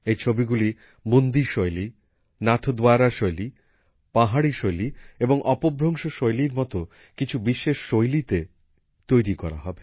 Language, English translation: Bengali, These paintings will be made in many distinctive styles such as the Bundi style, Nathdwara style, Pahari style and Apabhramsh style